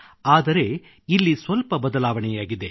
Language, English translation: Kannada, But here is a little twist